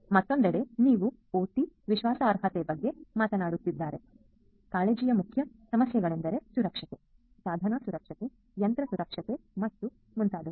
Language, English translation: Kannada, On the other hand, if you are talking about OT trustworthiness, the main issues of concern are safety, device safety, machine safety and so on